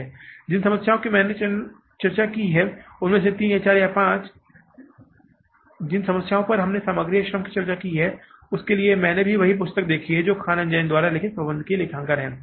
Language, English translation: Hindi, Most of the problems which I discussed here is whatever the 3, 4, 5 problems we discussed with regard to material or labor, I have also referred to the same book that is the management accounting by Khan and Jain